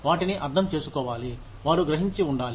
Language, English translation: Telugu, They need to be understood